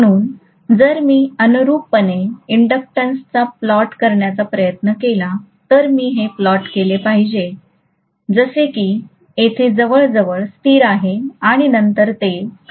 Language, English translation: Marathi, So if I try to plot the inductance correspondingly, I should plot it as though it is almost a constant until here and then it is going to come down